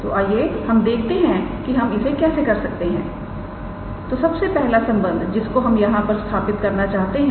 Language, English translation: Hindi, So, let us see how we can do that; so the first relation is to prove this one